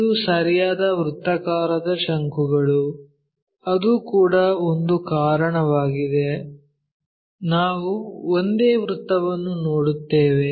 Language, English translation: Kannada, It is the right circular cone that is also one of the reason we will see only circle